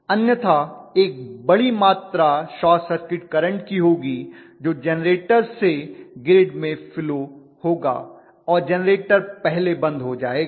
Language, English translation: Hindi, Otherwise I will have a huge amount of short circuit current that will be flowing through the generator into the grid and the generator will conk out first, that is what is going to happen